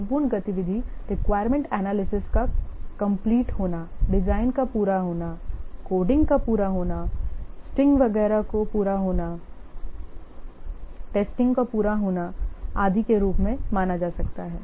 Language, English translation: Hindi, The important activity could be completion of requirement analysis, completion of design, completion of coding, completion of testing, etc